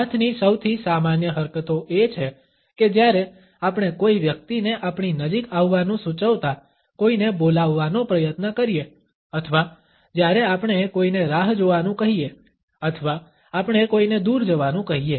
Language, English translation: Gujarati, The most common hand gestures are when we try to call somebody indicating the person to come close to us or when we ask somebody to wait or we ask somebody to go away